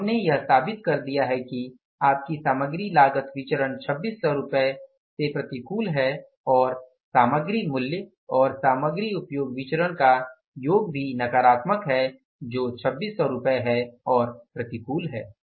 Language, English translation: Hindi, So we have proved it that your material cost variance is unfavorable by rupees, 2,600s and the material sum of the material price and the material usage variance are also, means the sum of these two variances is also negative, that is 2,600s that is unfavorable or adverse